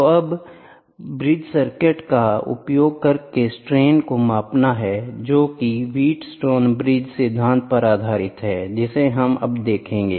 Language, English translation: Hindi, So now, measuring strains using bridge circuit that is what wheat stone bridge principle we see now that is what it is